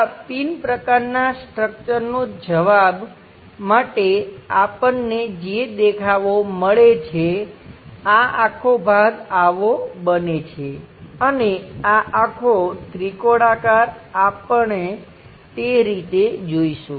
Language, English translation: Gujarati, The answer for this pin kind of structure the views what we are going to get, this entire portion turns out to be this one, and this entire triangular one we will see it in that way